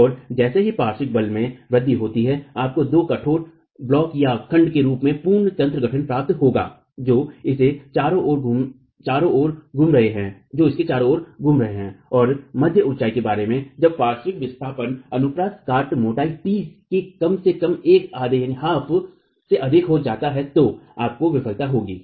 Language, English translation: Hindi, And as the lateral force is increased, you will get the complete mechanism formation in form of two rigid blocks that are rotating at its ends and about the mid height and you will have failure when the lateral displacement exceeds at least one half of the cross section thickness t so about 0